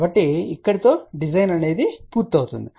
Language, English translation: Telugu, So, this one here completes the design ok